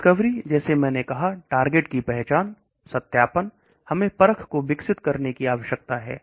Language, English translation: Hindi, Discovery like I said target identification, validation we need to develop the assay